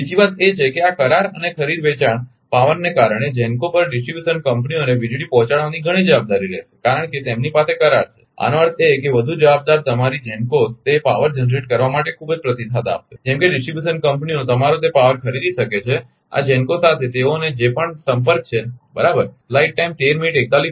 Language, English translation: Gujarati, Another thing is that because of this contract and buying selling power, GENCOs will have lot of responsibility to supply power to the distribution companies because, they have the contract; that means, more response ah your GENCOs will be very much response over for generating that power such that distribution companies can ah your buy that power, whatever contact they have with this GENCOs right